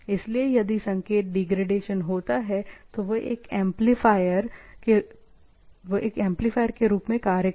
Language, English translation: Hindi, So, if there is a degradation of the signal, they act as a amplifier